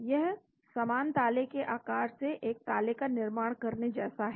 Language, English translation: Hindi, it is like building the lock from the shape of similar lock